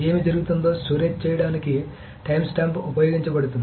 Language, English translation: Telugu, So a timestamp is used to store whatever is happening